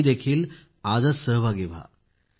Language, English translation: Marathi, You too participate today itself